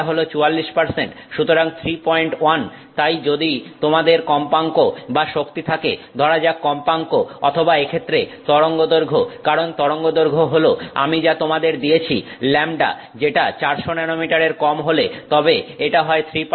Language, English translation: Bengali, 1, so if you have frequency or energy, let's go to frequency, frequency which is or wavelength in this case because wavelength is what I have given you, lambda which is less than 400 nanometers, then that is 3 percent